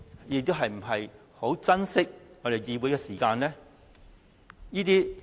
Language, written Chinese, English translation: Cantonese, 又是否十分珍惜我們議會的時間呢？, Or can this help prove that they really cherish the Councils meeting time?